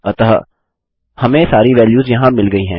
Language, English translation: Hindi, So we have got all our values here